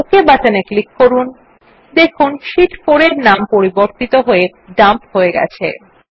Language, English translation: Bengali, Click on the OK button and you see that the Sheet 4 tab has been renamed to Dump